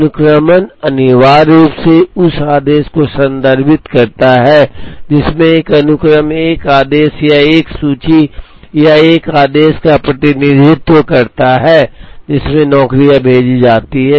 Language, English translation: Hindi, Sequencing essentially refers to the order, in which a sequence represents an order or a list or an order, in which the jobs are sent